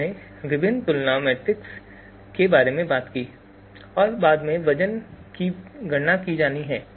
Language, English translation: Hindi, So we talked about different comparison matrices and later on the weights are to be computed